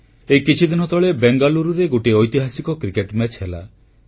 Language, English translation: Odia, Just a few days ago, a historic Cricket match took place in Bengaluru